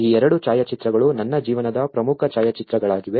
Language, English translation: Kannada, These two photographs are one of the important photographs of my life